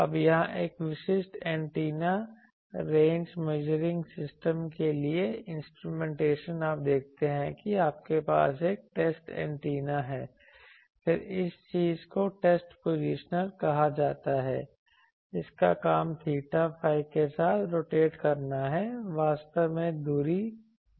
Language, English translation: Hindi, Now instrumentation for a typical antenna range measuring system here, you see you have a test antenna then this thing is called test positioner, it is job is to rotate along the theta phi actually the distance is known